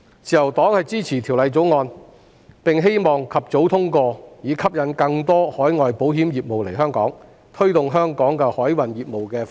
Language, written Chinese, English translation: Cantonese, 自由黨支持《條例草案》，並希望及早通過《條例草案》，以吸引更多海外保險公司來港發展，並推動香港海運業務發展。, The Liberal Party supports the Bill and hopes that it can be passed as soon as possible so as to attract more overseas insurance companies to come to Hong Kong for business development and promote the development of Hong Kongs maritime business